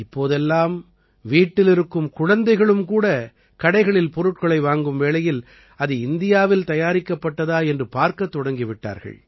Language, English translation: Tamil, Now even our children, while buying something at the shop, have started checking whether Made in India is mentioned on them or not